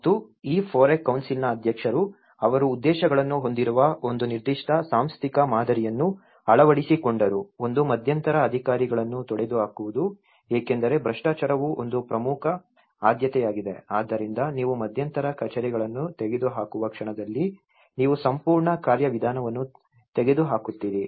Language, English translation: Kannada, And, the president of this FOREC council, he adopted a certain institutional model which has an objectives, one is eliminate intermediate officers because corruption is an important priority so that when the moment you are eliminating the intermediate offices you are eliminating the whole procedure itself, guarantee the transparency the decisions, reinforce democratic systems and social organization